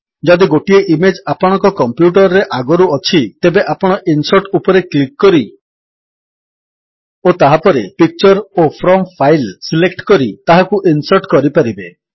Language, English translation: Odia, If an image is already stored on your computer, you can insert it by first clicking on Insert and then Picture and selecting From File